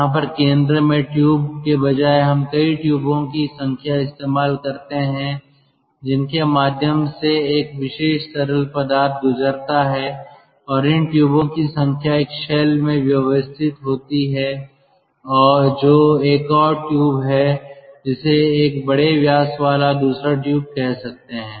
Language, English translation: Hindi, so instead of one tube at the center we have got number of tubes through which a particular fluid passes, and this number of tubes are arranged in a shell, which is another tube